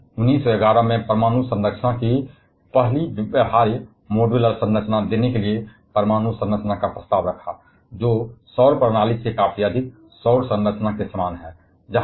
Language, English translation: Hindi, He proposed the atomic structure to give the first feasible modular of atomic structure in 1911, which is quite similar to the solar structure that we have over solar system